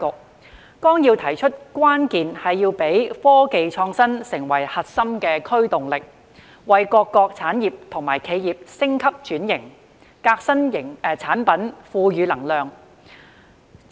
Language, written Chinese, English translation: Cantonese, 《十四五規劃綱要》提出，關鍵是要讓科技創新成為核心驅動力，為各個產業或企業升級轉型、革新產品賦予能量。, As stated in the Outline of the 14th Five - Year Plan the key is to make technological innovation the core driving force to drive industries or enterprises to undergo upgrading and transformation as well as product innovation